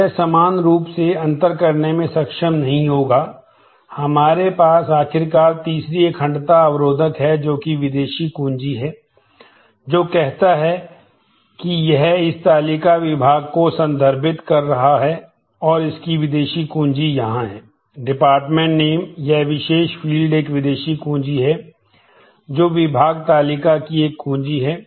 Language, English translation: Hindi, So, it will not be able to distinguish similarly, we have finally we have the third integrity constant which is foreign key which says that, it is referencing this table department and the foreign key of this is here, the dep name this particular field is a foreign key, which is a key of the department table